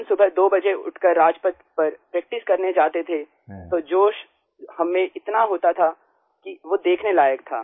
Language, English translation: Hindi, When We used to get up at 2 in the morning to go and practice on Rajpath, the enthusiasm in us was worth seeing